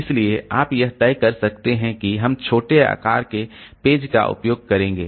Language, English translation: Hindi, So, we may decide that we will use page size to be small